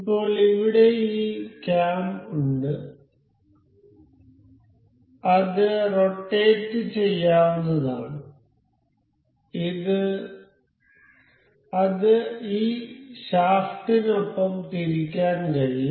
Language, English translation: Malayalam, So so, now here we have this cam that is rotatable rotate that can be rotated along this shaft